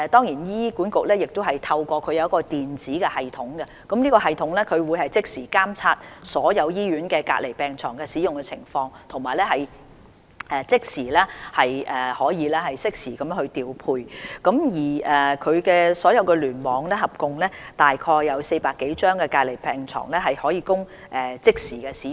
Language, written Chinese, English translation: Cantonese, 醫管局亦設有一個電子系統，可以即時監察所有醫院的隔離病床的使用情況，以及可以即時進行調配，而醫管局轄下所有聯網合共有約400多張隔離病床可供即時使用。, HA also has an electronic system through which it can monitor real time the utilization of these isolation beds in all hospitals and make deployment instantly . In all the clusters under HA 400 - odd isolation beds in total are readily available